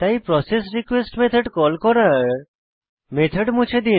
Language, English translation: Bengali, So,remove the method call for processRequest method